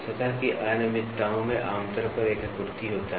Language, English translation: Hindi, Surface irregularities generally have a pattern